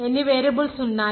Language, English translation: Telugu, How many variables are there